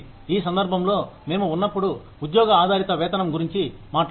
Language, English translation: Telugu, In this case, when we talk about, job based pay